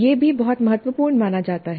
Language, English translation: Hindi, This also considered as very important